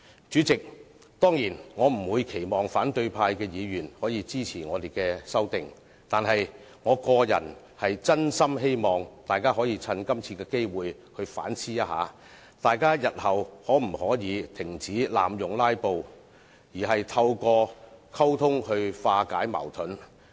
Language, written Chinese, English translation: Cantonese, 主席，當然，我不期望反對派議員會支持我們的修訂，但我個人真心希望大家藉此機會反思一下，日後可否停止濫用"拉布"而透過溝通來化解矛盾。, President I surely do not expect that opposition Members will support our amendments . Nevertheless I truly hope that we will take this opportunity to reflect on whether it is possible to resolve conflicts through communication instead of filibusters in future